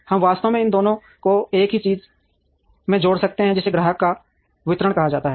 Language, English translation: Hindi, We could actually combine both these into a single thing called customer or distribution